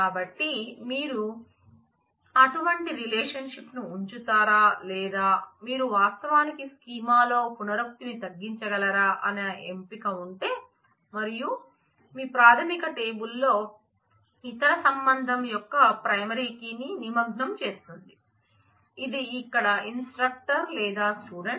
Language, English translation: Telugu, So, if there is a choice between whether you will keep such relationships or you will actually reduce the redundancy in the schema, and involve the primary key of the other relation into your primary table which is instructor or the student here